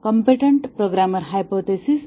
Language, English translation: Marathi, the competent programmer hypothesis